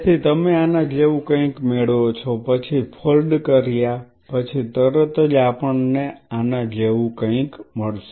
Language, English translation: Gujarati, So, what you get something like this then right after folding we will be getting something like this